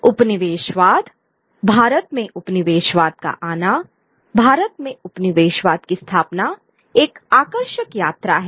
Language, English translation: Hindi, Colonialism, the coming of colonialism to India, the establishment of colonialism in India is a fascinating journey